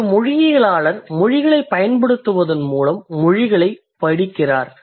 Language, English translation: Tamil, So a linguist studies languages by using languages if I can say